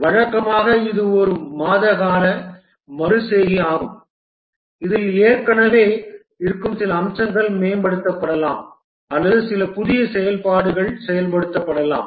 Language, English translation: Tamil, Usually it's a month long iteration in which some existing features might get improved or some new functionality may be implemented